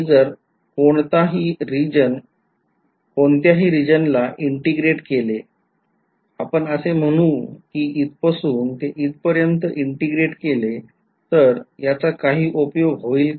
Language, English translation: Marathi, So, if I integrate at any region let us say if I integrate from here to here is there any use